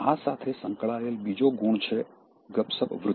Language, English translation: Gujarati, Associated with this is also this, gossiping tendency